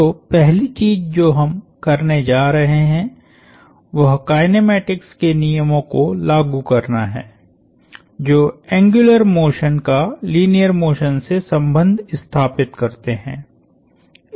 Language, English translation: Hindi, So, first thing we are going to do is apply the laws of kinematics, which relates the angular motion to the linear motion